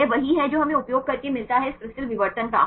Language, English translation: Hindi, This is what we get using the diffraction of this crystals